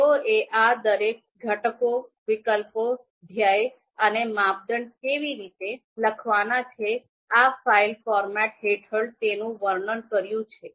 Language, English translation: Gujarati, They have described each of these you know components, alternatives, goal and criteria how they are to be written under this file format